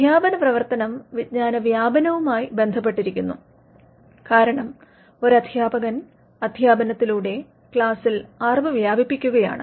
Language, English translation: Malayalam, The teaching function is linked to dissemination of knowledge, because we know that in teaching what a teacher does in a class is disseminate the knowledge